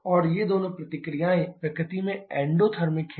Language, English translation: Hindi, And both these reactions are endothermic in nature